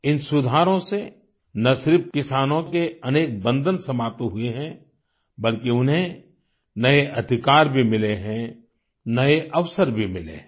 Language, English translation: Hindi, These reforms have not only served to unshackle our farmers but also given them new rights and opportunities